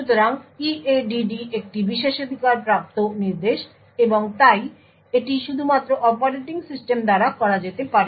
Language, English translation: Bengali, So EADD is also a privileged instruction and therefore it can only be done by operating system